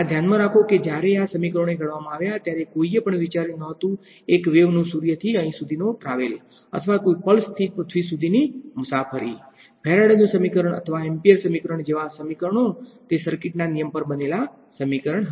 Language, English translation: Gujarati, And, keep in mind these equations when they were formulated nobody was thinking about a wave of traveling from you know sun to earth or from some pulsar to earth; these equations like Faraday’s equation or amperes equation it was an equation built on circuit laws right